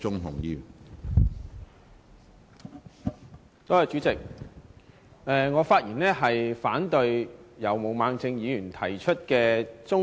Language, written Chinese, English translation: Cantonese, 主席，我發言反對由毛孟靜議員提出的中止待續議案。, President I rise to speak against the adjournment motion moved by Ms Claudia MO